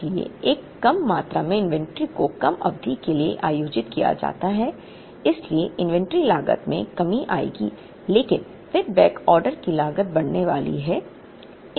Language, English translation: Hindi, So, a lesser quantity of inventory is held for a lesser period so, inventory cost there will come down but, then the backorder cost is going to go up